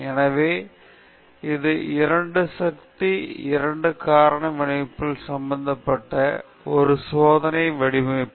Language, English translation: Tamil, So, you have an experimental design involving a 2 power 2 factorial designs